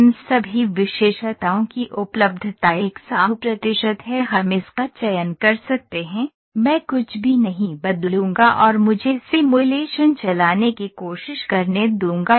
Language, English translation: Hindi, So, all these attributes availability is 100 percent we can select this, I would not change anything and let me try to run the simulation